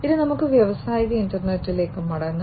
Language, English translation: Malayalam, Now, let us go back to the industrial internet